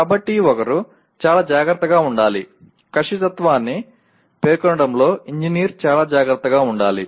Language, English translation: Telugu, So one should be very careful, the engineer should be very careful in over specifying the accuracy